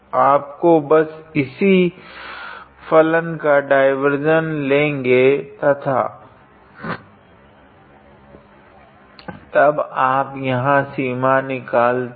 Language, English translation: Hindi, You just have to take the divergence of this function and then you obtain this limit here